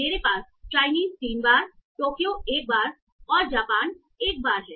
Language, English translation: Hindi, I have Chinese three times, then Tokyo once, Japan once